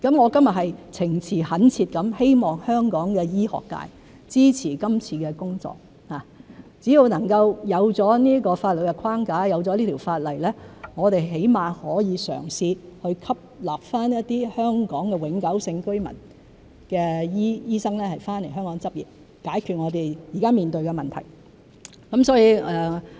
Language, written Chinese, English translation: Cantonese, 我今天是情詞懇切地希望香港醫學界支持這次工作，只要能夠有這個法律框架、有了這條法例，我們至少可以嘗試去吸納一些香港永久性居民的醫生回港執業，解決我們現時面對的問題。, Today I earnestly hope that the medical sector in Hong Kong will support this exercise . As long as this legal framework and this ordinance are in place we can at least try to admit some doctors who are Hong Kong permanent residents to return to and practise in Hong Kong so as to solve the problems that we are currently facing